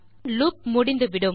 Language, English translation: Tamil, So, our loop here has stopped